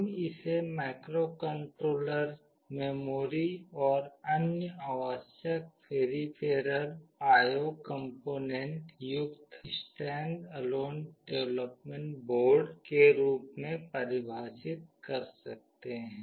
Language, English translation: Hindi, We can define it as a standalone development board containing microcontroller, memory and other necessary peripheral I/O components